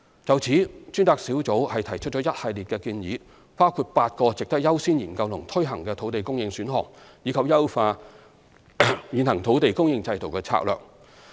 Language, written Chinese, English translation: Cantonese, 就此，專責小組提出一系列建議，包括8個值得優先研究及推行的土地供應選項，以及優化現行土地供應制度的策略。, Accordingly the Task Force has tendered a series of recommendations including eight land supply options worthy of priority studies and implementation and enhancing the existing land supply strategy